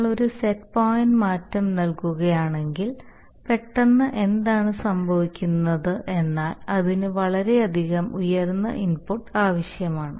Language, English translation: Malayalam, it means that if you give a set point change in, if you give a set point change suddenly then what will happen is that it will require a tremendously high input